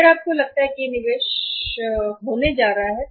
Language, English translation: Hindi, If you think this is going to be the investment here